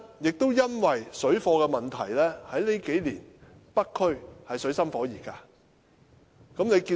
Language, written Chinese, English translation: Cantonese, 正因為水貨問題，這數年，北區的中港矛盾實在水深火熱。, Owing to the problem of parallel trading the China - Hong Kong conflicts in North District have intensified in the past few years